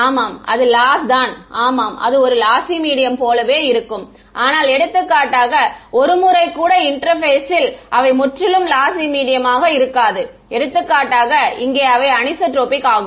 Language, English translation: Tamil, Yeah, but the loss yeah it will be exactly like a lossy medium, but for example, the intermediate once they will not be purely lossy medium they will anisotropic for example, here